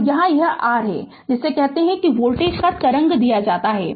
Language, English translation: Hindi, And here it is your what you call that waveform of the voltage is given